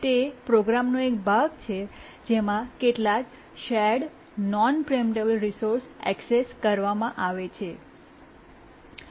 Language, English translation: Gujarati, It's a part of the program in which some shared non preemptible resource is accessed